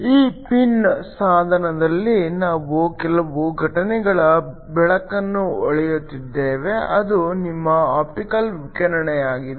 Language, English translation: Kannada, We have some incident light shining on this pin device that is just your optical radiation